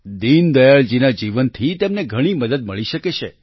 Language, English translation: Gujarati, Deen Dayal ji's life can teach them a lot